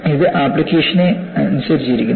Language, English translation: Malayalam, So, it depends on the given application